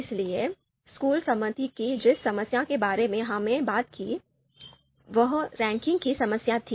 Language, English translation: Hindi, So the school committee you know problem that we talked about that was the ranking problem